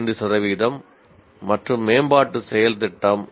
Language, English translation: Tamil, 5 percent and improvement action plan